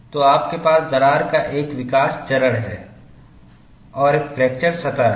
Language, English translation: Hindi, So, you have a growth phase of the crack and there is a fracture surface